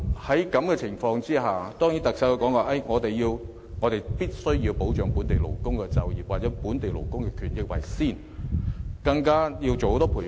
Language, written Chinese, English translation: Cantonese, 在這樣的情況下，特首的說法固然是我們必須優先保障本地勞工的就業機會及權益，更要推行很多培訓。, Seeing this circumstance the Chief Executive still says somewhat expectedly that we must first safeguard local workers priority for employment and interests and then provide more training